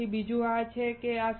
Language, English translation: Gujarati, Then there is another one which is this one